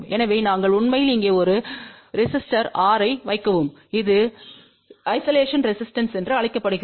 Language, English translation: Tamil, So, we are actually put over here a resister R and that is also known as isolation resistance ok